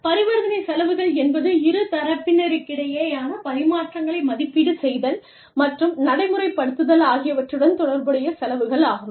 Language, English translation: Tamil, Transaction costs are the costs, associated with, negotiating, monitoring, evaluating, and enforcing exchanges between parties